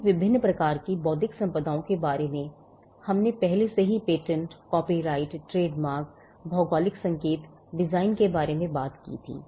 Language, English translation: Hindi, All the different types of intellectual property we had already talked about patents, copyrights, trademarks, geographical indications, designs